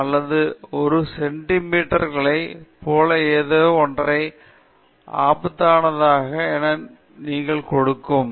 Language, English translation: Tamil, 96 something 7134 or something like that centimeters that’s completely absurd